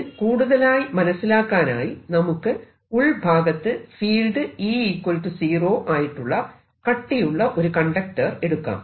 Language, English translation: Malayalam, so to understand this, let us again take this conductor, which is supposed to be solid and e zero inside